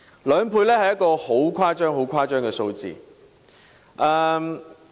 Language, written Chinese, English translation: Cantonese, 兩倍是一個很誇張的數字。, A twofold increase is indeed very big